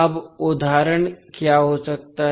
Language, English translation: Hindi, Now, what can be the example